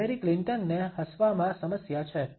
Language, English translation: Gujarati, Hillary Clinton has a problem with smiling